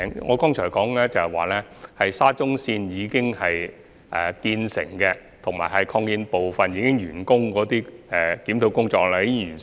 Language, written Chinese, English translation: Cantonese, 我剛才說，關於沙中綫已建成的車站及已完工的擴建部分，檢討工作已經完成。, Just now I have said that the review of the completed stations and completed extensions of SCL has been finished